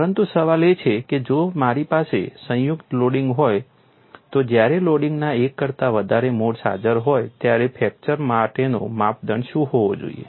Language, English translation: Gujarati, But the question is, if I have a combine loading what should be the criterion for fracture when more than one mode of loading is present